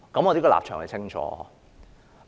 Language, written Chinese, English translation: Cantonese, 我這個立場很清晰。, My position is very clear